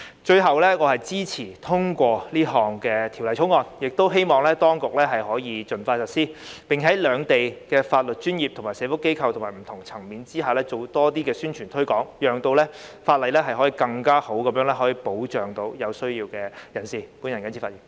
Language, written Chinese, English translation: Cantonese, 最後，我支持通過《條例草案》，亦希望當局可以盡快實施，並向兩地的法律專業、社福機構及不同層面人士進行更多宣傳推廣，讓這項法例可更有效地保障有需要的人士。, Last but not the least I support the Bill and hope that the Administration can implement it as soon as possible and organize more publicity and promotion activities for the legal professionals social welfare organizations and people at different levels in Hong Kong and the Mainland so that this legislation can better protect the needy